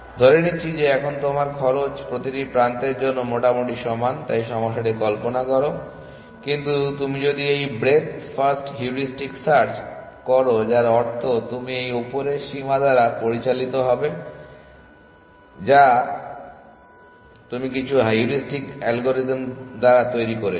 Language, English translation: Bengali, Assuming that you now costs are roughly equal for every edge essentially thus visualise the problem, but if you are doing this breadth first heuristic search which means you are guided by this upper bound which you have generated by some heuristic algorithm